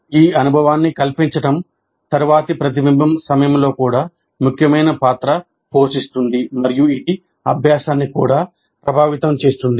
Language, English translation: Telugu, Framing the experience influences subsequent reflection also and thus it will influence the learning also